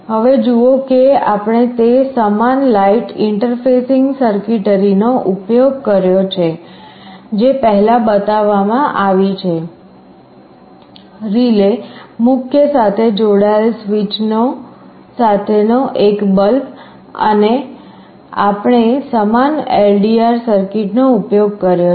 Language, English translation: Gujarati, Now see we have used that same light interfacing circuitry as was shown earlier; a relay, a bulb with a switch connected to mains, and we have used the same LDR circuit